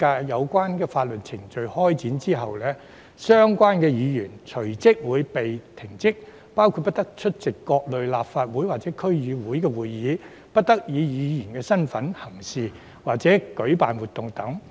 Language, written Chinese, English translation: Cantonese, 有關法律程序展開後，相關議員隨即會被停職，包括不得出席各類立法會或區議會會議，以及不得以議員身份行事或舉辦活動等。, Upon the commencement of the proceedings the functions and duties of the member will immediately be suspended including attending all kinds of meetings of the Legislative Council and District Councils DCs acting as a member or organizing activities